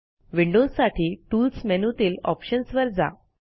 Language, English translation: Marathi, windows users should click on Tools and Options